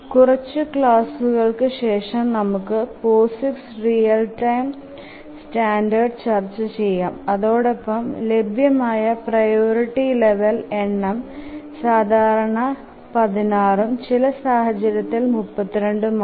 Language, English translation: Malayalam, A little later after a few classes we will look at the POSIX real time standard and we'll see that the number of priority levels that are available is typically 16 and in some cases we'll see that it is 32